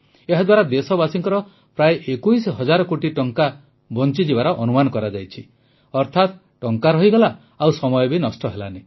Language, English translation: Odia, It is estimated that this will save approximately 21 thousand crore Rupees of our countrymen